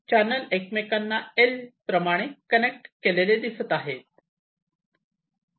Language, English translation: Marathi, the two channels are connected as a l